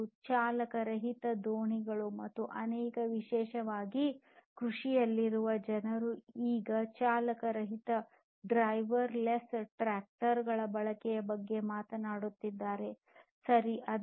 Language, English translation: Kannada, And also driver less boats and many other like particularly in agriculture people are now talking about use of driver less, driver less tractors right